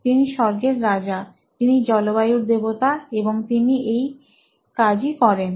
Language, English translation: Bengali, He is the Lord of the heavens, Lord of the weather and that is what he does